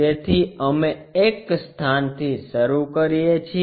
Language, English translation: Gujarati, So, we begin at one location